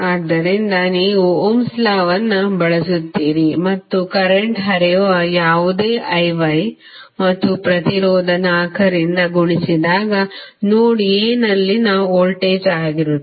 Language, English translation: Kannada, You will use Ohm's law and whatever the current is flowing that is I Y and multiplied by the resistance 4 would be the voltage at node A